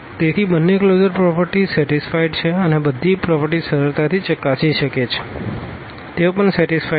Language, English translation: Gujarati, So, the both the closure properties are satisfied, all other properties one can easily check that they are also satisfied